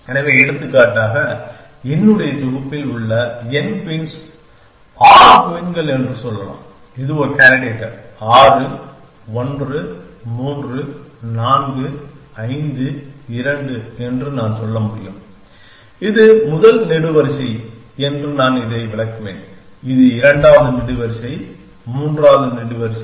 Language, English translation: Tamil, So, for example, in en queens in mike set let say 6 queens I could say this is a candidate 6, 1, 3, 4, 5, 2 and I would interpret this as saying that the that this is the first column this is the second column third column